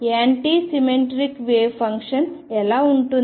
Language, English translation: Telugu, How about the anti symmetric wave function